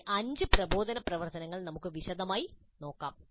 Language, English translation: Malayalam, Now let us look at these five instructional activities in some detail